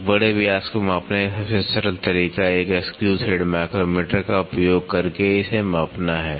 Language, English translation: Hindi, The simplest way of measuring a major diameter is to measure it using a screw thread micrometer